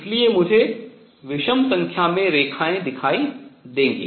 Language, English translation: Hindi, So, I would see odd number of lines